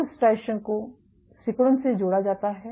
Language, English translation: Hindi, So, striation is linked to contractility right